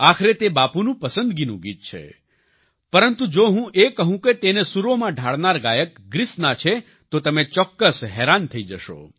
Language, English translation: Gujarati, After all, this is Bapu'sfavorite song, but if I tell you that the singers who have sung it are from Greece, you will definitely be surprised